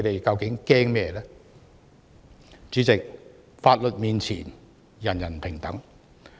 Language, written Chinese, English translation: Cantonese, 主席，法律面前，人人平等。, President everyone is equal before the law